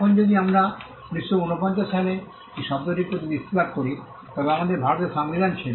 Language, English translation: Bengali, Now if we look at the term itself in 1949, we had the Constitution of India